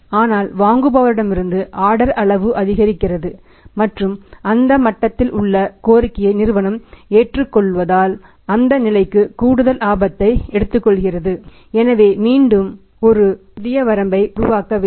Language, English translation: Tamil, But as the order size from the buyer increases and company accepts to the request at that level company is taking the extra risk for that level we have to work out the again a new limit